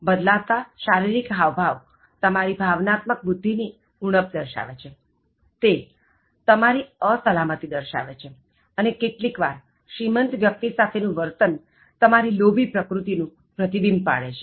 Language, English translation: Gujarati, Changing of body language indicates lack of emotional intelligence, it is your own insecurities and sometimes it is also reflecting your greedy nature to be seen with rich people